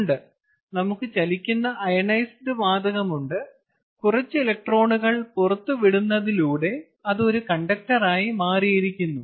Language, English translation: Malayalam, yes, we have the ionized gas which is moving and it has become a conductor by means of, you know, by means of having some electrons being released from it